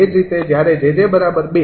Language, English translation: Gujarati, that is, for jj is equal to two